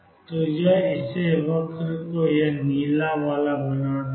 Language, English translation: Hindi, So, this will make it make the curve to be this blue one right